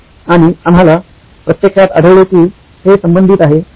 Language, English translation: Marathi, And we actually found out that this was related